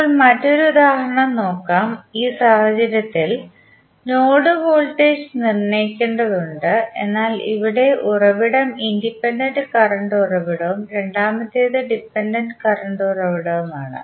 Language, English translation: Malayalam, Now, let us take one another example in this case the node voltage needs to be determine but here the source is one is independent current source and second is the dependent current source